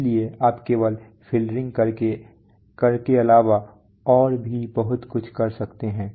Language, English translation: Hindi, So you can do more than just doing filtering